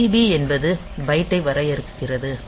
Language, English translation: Tamil, So, DB stands for define byte